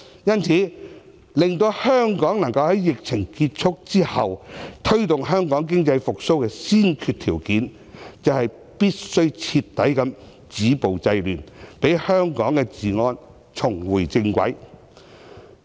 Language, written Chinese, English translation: Cantonese, 因此，令香港能夠在疫情結束後，推動經濟復蘇的先決條件是必須徹底止暴制亂，讓香港的治安重回正軌。, Thus a precondition for promoting economic recovery in Hong Kong after the subsidence of the epidemic is to completely stop violence and curb disorder so that Hong Kong can restore law and order